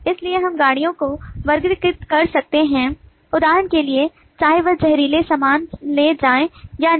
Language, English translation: Hindi, so we can classify the trains according to, for example, whether or not they carry toxic goods